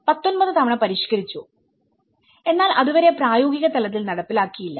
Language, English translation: Malayalam, And it has been revised 19 times till then and it was hardly implemented in a practical level